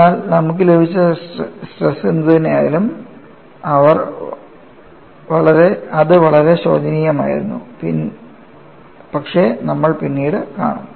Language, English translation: Malayalam, But, whatever the stresses that you have got, they were looking very clumsy, but we will see later